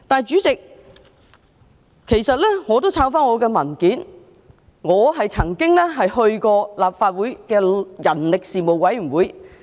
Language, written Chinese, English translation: Cantonese, 主席，其實我翻查自己的文件後，發現自己曾加入人力事務委員會。, President in fact after a check on my own documents I found that I was a member of the Panel on Manpower before